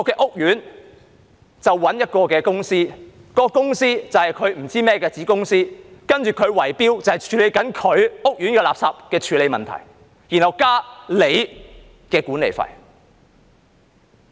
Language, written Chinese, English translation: Cantonese, 屋苑找來一間公司或甚麼子公司，接着它便以圍標方式承接屋苑的垃圾處理問題，然後增加管理費。, An estate may engage a company or some sort of a subsidiary to take over the work of waste disposal in the estate by way of bid - rigging and then it will increase the management fees